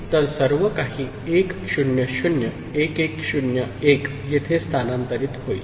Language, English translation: Marathi, So, everything else will get shifted 1 0 0 1 1 0 1 will come over here